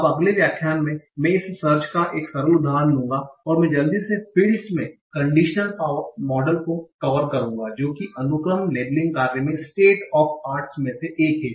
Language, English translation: Hindi, Now in the next lecture, I will take one simple example of this search, and I will quickly cover the model of conditional random fields, that is one of the state of the arts in sequence labeling task